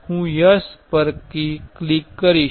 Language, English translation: Gujarati, I will select yes